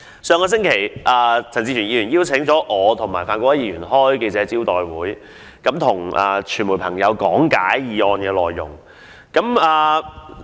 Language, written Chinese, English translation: Cantonese, 上星期，陳志全議員邀請我和范國威議員舉行記者招待會，向傳媒朋友講解議案內容。, Last week Mr CHAN Chi - chuen invited Mr Gary FAN and me to hold a press meeting with him in order to explain the contents of his motion to the media